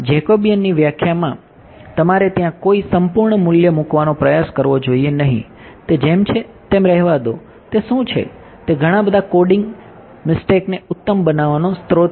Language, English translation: Gujarati, In the definition of Jacobian you should not try to put an absolute value over there let it be what it is that is the source of lots of coding mistakes fine